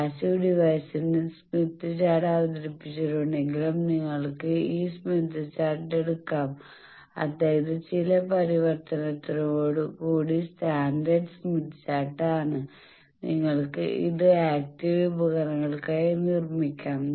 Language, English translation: Malayalam, Then you can take this smith chart though you have introduced smith chart for passive devices that is standard smith chart with some conversion you can make it for active devices and you can do that